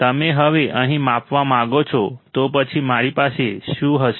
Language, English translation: Gujarati, You now want to measure here, then what will I have